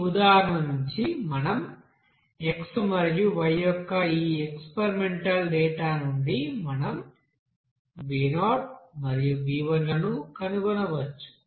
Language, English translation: Telugu, So from this you know example we can say that from this experimental data of x and y we can find out what will be the b0 and b1